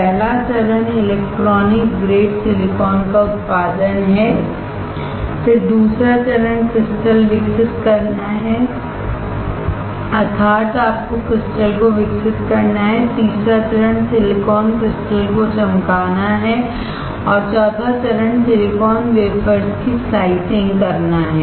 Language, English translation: Hindi, First step is production of electronic grade silicon, second is we have to grow the crystal, third is we have to polish the silicon and fourth is slicing of silicon wafers